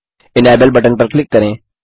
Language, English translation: Hindi, Click on the Enable button